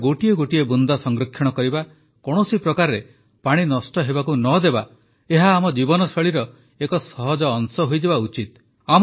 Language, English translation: Odia, Saving every drop of water, preventing any kind of wastage of water… it should become a natural part of our lifestyle